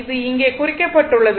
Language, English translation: Tamil, It is marked here